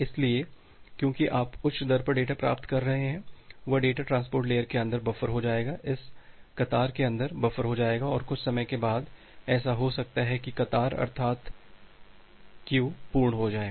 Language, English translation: Hindi, So, because you are receiving data at a higher rate so that particular data will get buffer inside the transport layer, buffer inside this particular queue and after sometime, it may happen that the queue becomes full